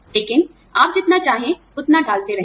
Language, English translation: Hindi, But, you keep putting in, as much as, you want